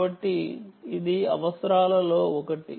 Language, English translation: Telugu, so that is one of the requirements